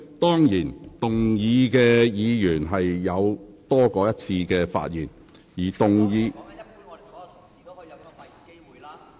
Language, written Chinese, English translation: Cantonese, 當然，動議議案的議員有多於一次發言機會。, Of course the movers of the motions can speak more than once